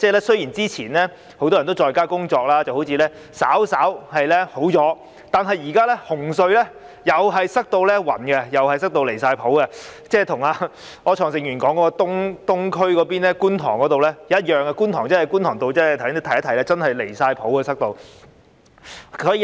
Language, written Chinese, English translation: Cantonese, 雖然之前很多人在家工作，情況好像稍為改善，但現時紅隧同樣擠塞得十分離譜，與柯創盛議員所說的東區或觀塘的情況一樣，觀塘道也是擠塞得十分離譜。, Previously as many people worked from home the situation seemed to have slightly improved but now the congestion at the Cross - Harbour Tunnel at Hung Hom is again outrageous . It is similar to the situation in the Eastern District or Kwun Tong mentioned by Mr Wilson OR . The congestion at Kwun Tong Road is also outrageous